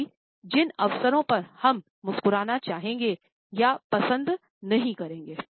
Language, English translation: Hindi, Also, the occasions on which we would like to smile and we would not like to smile